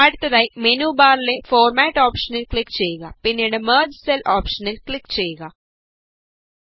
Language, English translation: Malayalam, Next click on the Format option in the menu bar and then click on the Merge Cells option